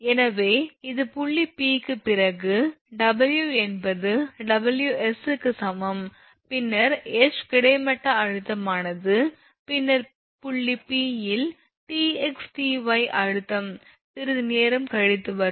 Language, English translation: Tamil, So, this is regarding this your point P then V is equal to WS, then horizontal your tension it H then tension T at point P Tx Ty will come little bit later